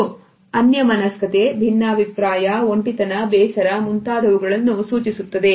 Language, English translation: Kannada, It suggest either preoccupation, disagreement, aloofness, boredom